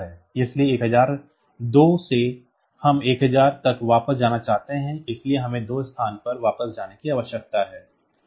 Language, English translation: Hindi, So, from 1002 we want to go back to 1000; so, we need to go back by two locations